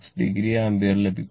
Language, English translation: Malayalam, 6 degree ampere